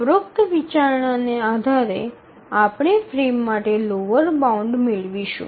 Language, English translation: Gujarati, So based on this consideration, we get a lower bound for the frame